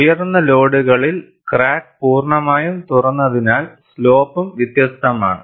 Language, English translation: Malayalam, At higher loads, because the crack is fully opened, the slope is also different